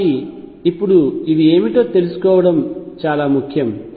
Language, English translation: Telugu, So, now, it is quite easy to find out what these are